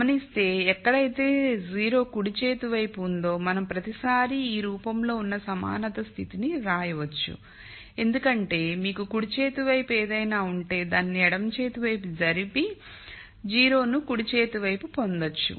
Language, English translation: Telugu, Notice that we can always write the equality condition in this form where I have 0 on the right hand side because if you have something on the right hand side I simply move it to the left hand side and get a 0 on the right hand side